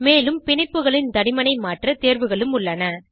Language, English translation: Tamil, And also has options to change the thickness of the bonds